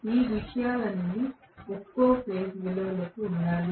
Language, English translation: Telugu, So, all these values have to be per phase values